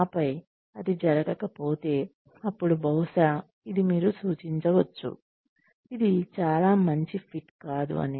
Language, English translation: Telugu, And then, that does not happen, then maybe this, you can suggest that, this is not a very good fit